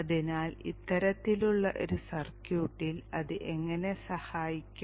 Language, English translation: Malayalam, So how does it help in this kind of a circuit